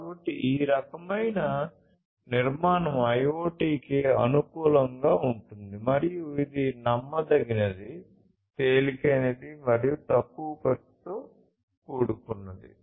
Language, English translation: Telugu, So, this kind of architecture is suitable for IoT and it has the advantage of being reliable, lightweight, and cost effective